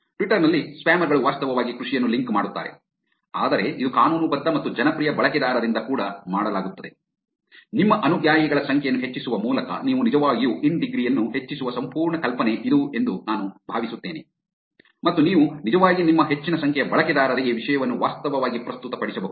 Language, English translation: Kannada, In Twitter, spammers do actually link farming, but it is also done by legitimate and popular users, I think that is the whole idea with where you actually increase the in degree by making your number of followers high and therefore, you can actually your content can actually be presented to a large number large set of users